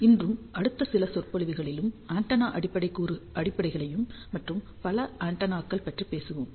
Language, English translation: Tamil, Today and in the next few lectures, we will talk about antenna fundamentals and several other antennas